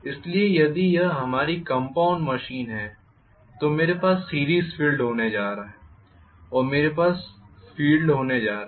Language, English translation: Hindi, Okay, so if it is our compound machine I am going to have series field and I am going to have shunt field, both